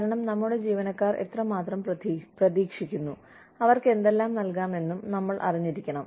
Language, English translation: Malayalam, Because, we should know, how much our employees are expecting, and what we can give them